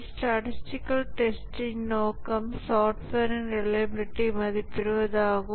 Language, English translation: Tamil, The objective of statistical testing is to estimate the reliability of the software